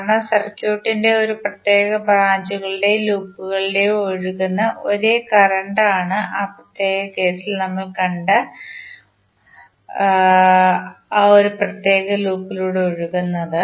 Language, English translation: Malayalam, Because branch current flows in a particular branch of the circuit and loop will be same current flowing through a particular loop which we have just saw in the particular case